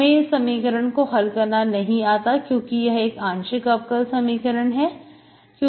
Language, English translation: Hindi, So you do not know how to solve this because this is partial differential equation